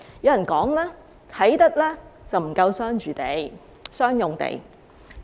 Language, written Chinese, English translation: Cantonese, 有人說，啟德不夠商用地。, Some people say that there is inadequate commercial land in Kai Tak